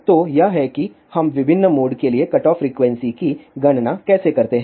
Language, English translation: Hindi, So, this is how we calculate the cutoff frequency for different modes